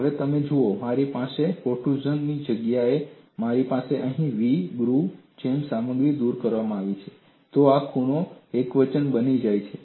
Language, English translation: Gujarati, Now, if you look at, I have the instead of the protrusion, if I have a material removed here like a v groove, then this corner becomes singular